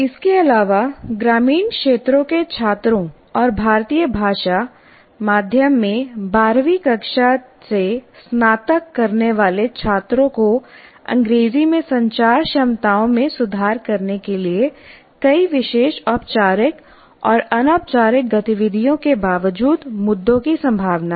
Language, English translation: Hindi, Further, students from rural areas and graduating from 12 standard in Indian language medium are likely to have issues in spite of the institutions having several special formal and informal activities to improve their communication abilities in English